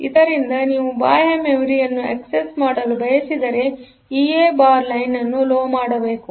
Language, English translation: Kannada, So, if you want to access external memory then this a bar line should be made low